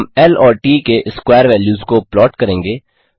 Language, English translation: Hindi, We shall be plotting L and T square values